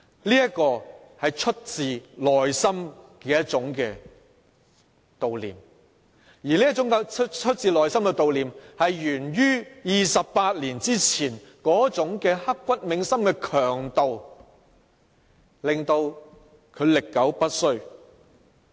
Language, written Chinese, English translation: Cantonese, 這是發自內心的一種悼念，而這種發自內心的悼念是源於28年前刻骨銘心的強度，因而令它歷久不衰。, This is commemoration of a kind that springs from our hearts and this spontaneity bears vigour born of that unforgettable incident of 28 years ago and this is why our commemoration of it will persist into eternity